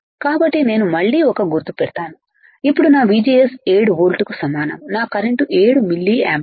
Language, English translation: Telugu, So, will I again put a mark here then my VGS equals to 7 moles my current is about 7 milliampere